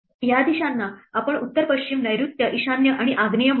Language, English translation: Marathi, Let us call these directions north west, south west, north east and south east